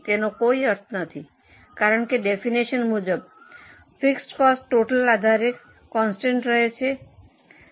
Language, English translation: Gujarati, It doesn't make much sense because the fixed cost as per definition is constant on a total basis